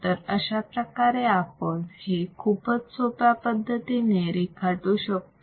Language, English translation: Marathi, So, this can be drawn easily